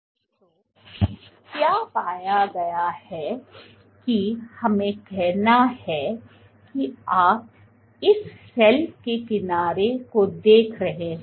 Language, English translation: Hindi, So, what has been found was, let us say that this cell you are looking at this edge of the cell